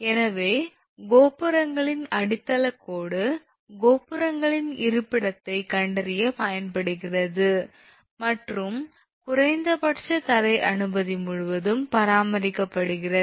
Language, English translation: Tamil, So, tower footing line is used for locating the position of towers and minimum ground clearance is maintained throughout